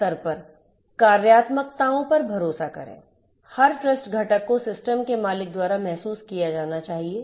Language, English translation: Hindi, So, trust functionalities at the system owner level; every trust component has to be realized by the system owner